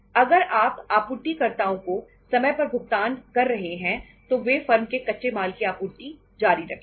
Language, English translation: Hindi, If you are paying to the suppliers on time they will continue to supply the raw material to the firm